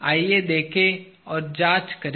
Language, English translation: Hindi, Let us look and examine